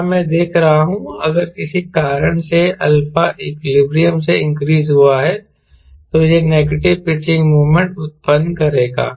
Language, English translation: Hindi, here i see, if for some reason alpha is increase from the equilibrium, it will generate negative pitching moment